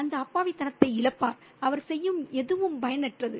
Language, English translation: Tamil, That loss of innocence, anything he does is futile